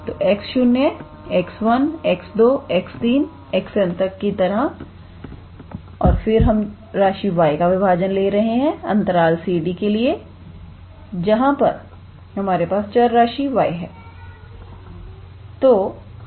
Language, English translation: Hindi, So, like x 0, x 1, x 2, x 3 dot dot up to x n and then we are taking the partition for the variable y for the interval c d where we have the variable y